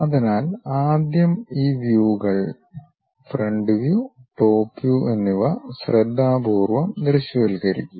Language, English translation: Malayalam, So, first of all carefully visualize these views, the front view and the top view